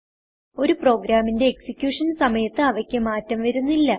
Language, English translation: Malayalam, They do not change during the execution of a program